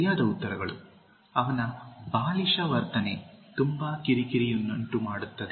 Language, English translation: Kannada, Correct answers: His childish behavior is very irritating